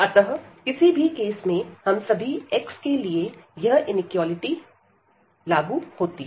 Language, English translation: Hindi, So, in any case this for all x this equality this inequality will hold